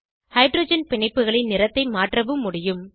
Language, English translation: Tamil, We can also change the color of hydrogen bonds